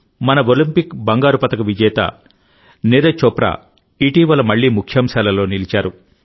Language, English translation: Telugu, Recently, our Olympic gold medalist Neeraj Chopra was again in the headlines